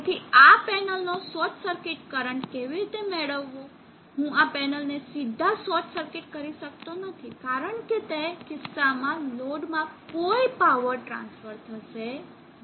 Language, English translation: Gujarati, So how to get the short circuit of this panel I cannot directly short circuit this panel, because in that case there will not be any power transfer to the load